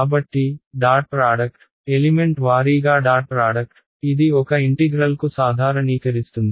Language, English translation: Telugu, So, the dot product element wise dot product, it generalizes to a integral